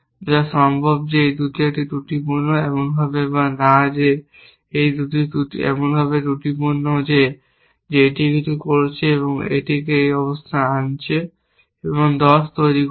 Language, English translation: Bengali, May be these two multiplier is a faulty, which possible that these two a faulty, in such a way or not that these two are faulty in such a way that this is doing something and this is undoing that and producing 10